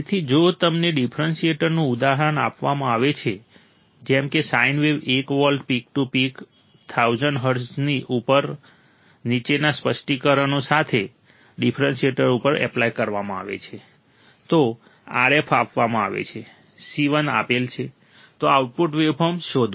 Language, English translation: Gujarati, So, if you are given an example of a differentiator, if you are given an example of a differentiator such that a sin wave 1 volt peak to peak at 1000 hertz is applied to a differentiator with the following specification, RF is given, C 1 is given, find the output waveform, find the output waveform